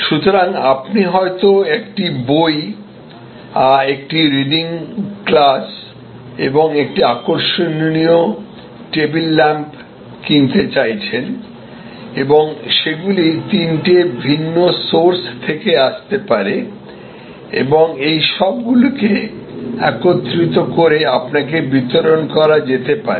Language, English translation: Bengali, So, you may want one book and one reading glass and one interesting table lamp and they can come from three different sources and can get accumulated and delivered to you